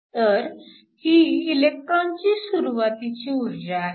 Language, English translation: Marathi, So, This is the initial energy of the electron, this is the final energy